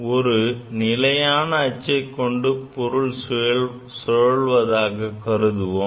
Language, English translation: Tamil, Say something is moving about an axle, about an axis